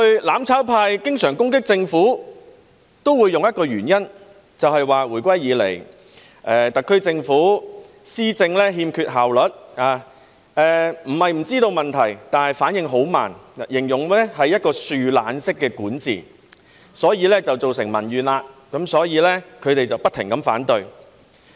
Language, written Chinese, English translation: Cantonese, "攬炒派"過去經常攻擊政府時，也會用一個理由，便是說回歸以來，特區政府施政欠缺效率，並非不知道問題，但反應很慢，他們形容這是樹懶式管治，所以造成民怨，因此他們不停反對。, In the past when the mutual destruction camp attacked the Government they often used one excuse saying that since the handover of sovereignty the SAR Government had been inefficient in its administration . Not that it was unaware of the problems but it was slow in response . They described this as slothful governance resulting in public grievances